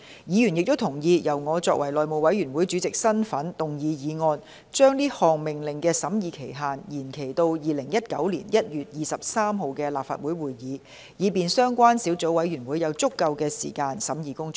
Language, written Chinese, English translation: Cantonese, 議員亦同意，由我以內務委員會主席的身份動議議案，將該項命令的審議期限延展至2019年1月23日的立法會會議，以便相關小組委員會有足夠的時間進行審議工作。, To give the Subcommittee sufficient time to scrutinize the Order Members also agreed that I in my capacity as Chairman of the House Committee be the one to move a motion to extend the scrutiny period of the Order to the Legislative Council meeting on 23 January 2019